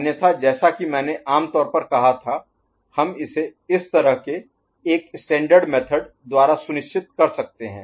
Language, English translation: Hindi, Otherwise, as I said generally speaking, we can get it for sure by a standard method like this ok